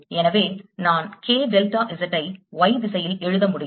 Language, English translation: Tamil, so i can write k delta z in the y direction